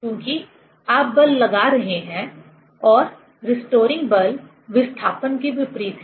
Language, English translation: Hindi, Because, you are applying force and the restoring force is opposite to the displacement